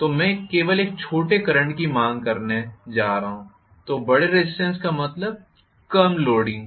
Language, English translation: Hindi, If I am connecting a larger resistance I am going to demand only a smaller current so larger resistance means loading less